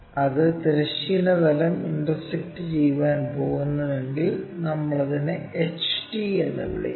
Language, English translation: Malayalam, And if it is going to intersect the horizontal plane we call that one as HT point